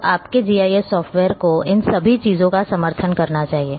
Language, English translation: Hindi, So, your GIS software should support all these things